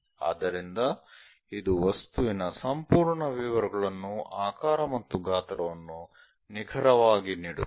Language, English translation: Kannada, So, it accurately gives that complete object details and shape and size